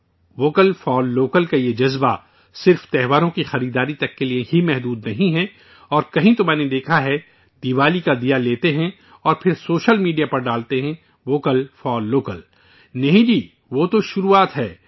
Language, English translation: Urdu, But you will have to focus on one more thing, this spirit for Vocal for Local, is not limited only to festival shopping and somewhere I have seen, people buy Diwali diyas and then post 'Vocal for Local' on social media No… not at all, this is just the beginning